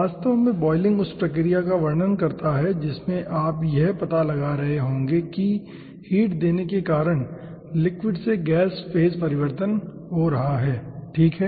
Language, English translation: Hindi, boiling describes the process in which you will be finding out addition of heat is causing change of phase from liquid to gas